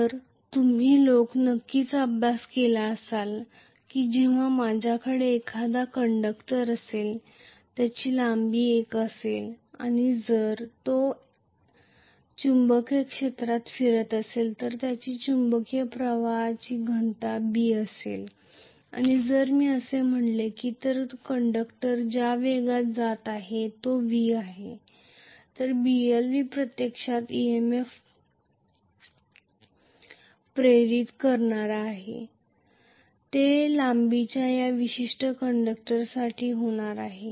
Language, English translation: Marathi, So this you guys must have definitely studied that EMF induced when I have a conductor whose length is l and if it is moving in a magnetic field whose magnetic flux density is B and if I say that the velocity with which the conductor is moving is v, Blv is going to be actually the induced EMF for this particular conductor of length l,right